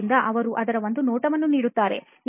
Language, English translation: Kannada, So they just give a glimpse of it